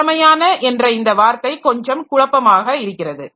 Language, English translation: Tamil, So, this again the term efficient is a bit confusing